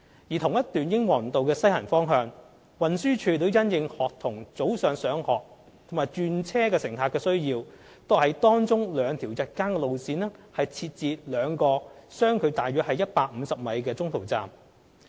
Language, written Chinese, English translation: Cantonese, 在同一段英皇道的西行方向，運輸署亦因應學童早上上學和轉車乘客的需要，為當中兩條日間路線設置兩個相距約為150米的中途站。, As for the westbound of the same section of Kings Road two en - route bus stops with a spacing of approximately 150 m for two daytime routes are provided to meet the needs of students commuting to school in the morning and interchanging passengers